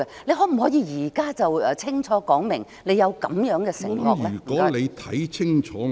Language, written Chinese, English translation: Cantonese, 你可否現在清楚說明，你有這樣的承諾呢？, Could you now explicitly indicate that you make such a promise?